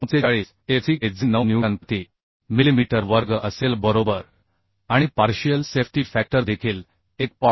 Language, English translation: Marathi, 45 fck which will be 9 newton per millimetre square right And also partial safety factor is 1